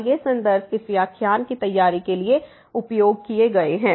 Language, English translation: Hindi, And these are the references used for preparation of this lecture